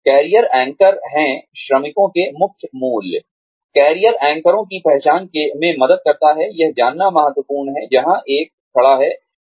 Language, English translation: Hindi, The identification of career anchors helps with, it is important to know, where one stands